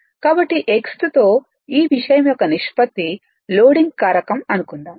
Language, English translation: Telugu, So, ratio of these thing will give you the your x right the loading factor say